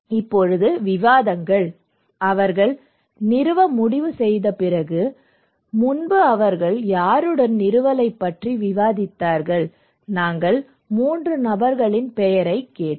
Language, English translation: Tamil, Now discussions; with, whom they discussed about before they decided to install, we asked them to name 3 persons